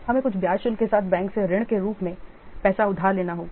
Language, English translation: Hindi, We have to borrow money as a loan from the bank with some interest charges